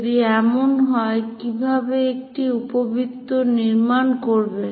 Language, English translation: Bengali, If that is the case, how to construct an ellipse